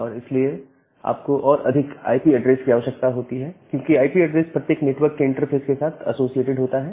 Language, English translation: Hindi, And that way you require more number of IP addresses, because IP addresses associated with every network interface